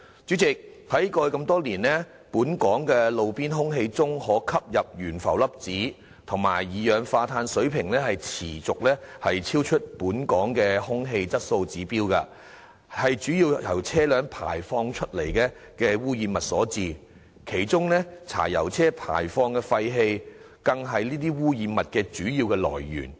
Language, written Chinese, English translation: Cantonese, 主席，過去多年來，本港路邊空氣中的可吸入懸浮粒子及二氧化氮水平持續超出本港的空氣質素指標，這主要是由車輛排放的污染物所致，其中柴油車輛排放的廢氣更是這些污染物的主要來源。, President the levels of respirable suspended particulates and nitrogen dioxide at the roadside in Hong Kong have been exceeding the Air Quality Objectives over the years and motor vehicles especially diesel vehicles are the main sources of these pollutants at street level in Hong Kong